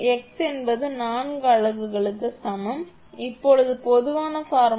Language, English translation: Tamil, And x is equal to there are four units, x is equal to 1, 2, 3 and 4